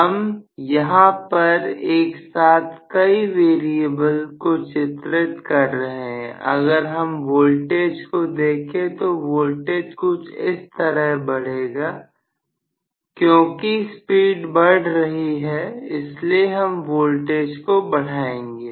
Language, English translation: Hindi, So, multiple variable we are drawing if I look at the voltage the voltage will rise like this, because as the speed rises I am going to increase the voltage